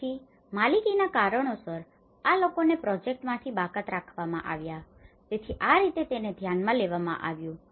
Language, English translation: Gujarati, So, these people have been excluded from the project for reasons of ownership so this is how this has been considered